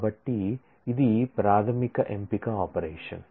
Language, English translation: Telugu, So, that is a basic select operation